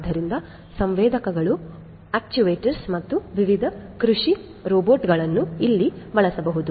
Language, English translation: Kannada, So, sensors, actuators, last different agricultural robots could be used over here